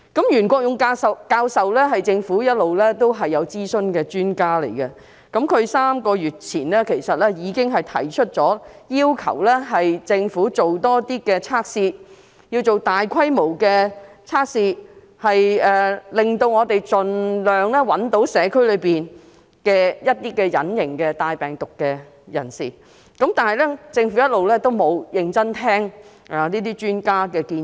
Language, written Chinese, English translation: Cantonese, 袁國勇教授是政府一直諮詢的專家，他在3個月前已經要求政府進行更多檢測，以及擴大檢測規模，盡力尋找社區內帶有病毒的隱形病人，但政府一直沒有認真聆聽專家的建議。, Prof YUEN Kwok - yung has been the Governments expert adviser . Three months ago he already requested the Government to conduct more tests and expand the scope of tests so as to exert the best effort to identify invisible virus carriers in the community but the Government never seriously listened to expert advice